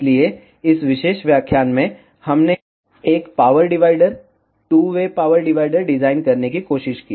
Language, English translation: Hindi, So, in this particular lecture, we tried to design a power divider two way power divider